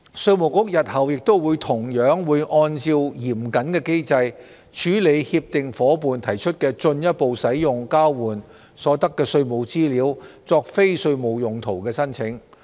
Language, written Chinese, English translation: Cantonese, 稅務局日後亦同樣會按照嚴謹的機制，處理協定夥伴提出進一步使用交換所得的稅務資料作非稅務用途的申請。, IRD will handle the applications made by CDTA partners for the further use of exchanged tax information for non - tax related purposes in the same manner as per the stringent mechanism